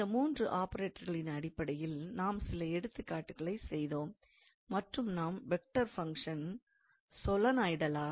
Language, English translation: Tamil, So, we worked out few examples based on these three operators, and we also calculated somehow to say a vector function whether it is solenoidal or irrotational